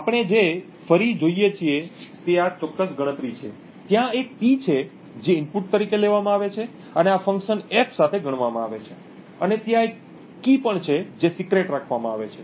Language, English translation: Gujarati, What we look at again is this particular computation, where there is a P which is taken as input and computed upon with this function F and there is also a key which is kept secret